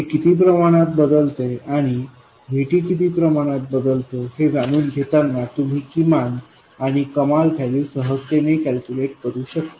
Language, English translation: Marathi, I mean knowing how much this varies and how much VT varies, you can calculate the minimum and maximum quite easily